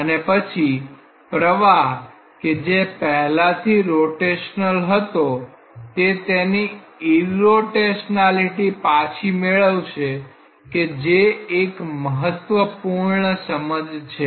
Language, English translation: Gujarati, And then an flow which is originally rotational we will retain its irrotationality that is one of the very important understandings